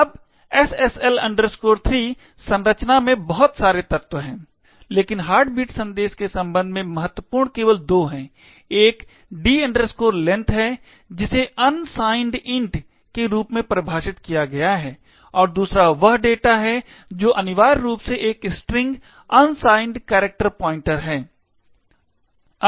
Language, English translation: Hindi, Now, SSL 3 structure has a lot of elements but the important ones with respect to the heartbeat message are just two, one is the D length which is defined as unsigned int and the other one is data which is essentially a string, unsigned character pointer